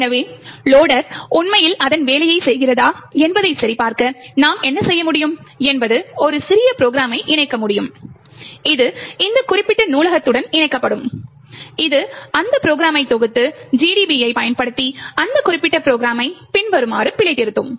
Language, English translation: Tamil, So, in order to check whether the loader is actually doing its job what we can do is we can write a small program which is linked, which will link to this particular library that will compile that program and use GDB to debug that particular program as follows